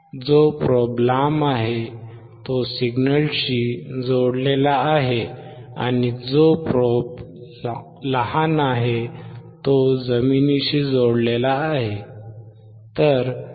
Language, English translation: Marathi, The longer one wherever you see is connected to the signal, and the shorter one is connected to the ground